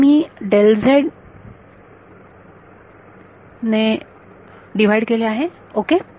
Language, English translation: Marathi, Now, I have divided by delta z ok